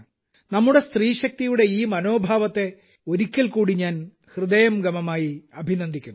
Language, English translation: Malayalam, I once again appreciate this spirit of our woman power, from the core of my heart